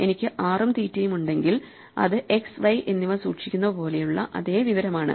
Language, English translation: Malayalam, So, if I have r and theta it's the same information as keeping x and y